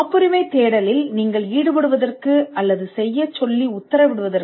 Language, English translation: Tamil, The first reason why you would engage or order a patentability search is to save costs